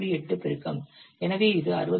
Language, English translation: Tamil, So this gives it into 61